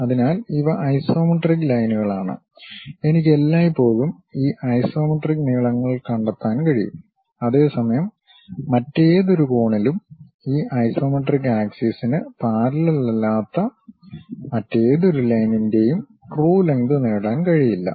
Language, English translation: Malayalam, So, these are isometric lines and I can always find this isometric lengths; whereas, any other angle, any other line which is not parallel to any of this isometric axis I can not really get true length of that object